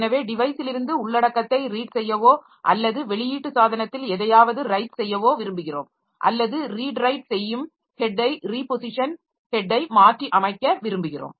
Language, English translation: Tamil, So, you want to read the content from the device or write or something onto the output device or we want to advance that the read write head, okay, that repositioning the head